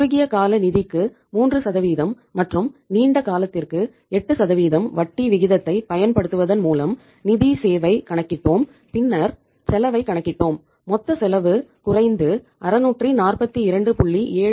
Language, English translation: Tamil, Then we calculated the financial cost by applying the interest rate of 3% on the short term finance and 8% on the long term finance and then we worked out the cost and the cost came out as that is uh total cost came down and that cost worked out was 642